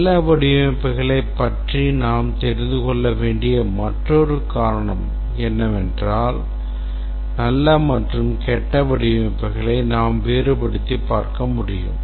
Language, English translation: Tamil, Another reason why we must know about good designs is that we must be able to distinguish between good and bad designs or in other words we should be able to evaluate between design alternatives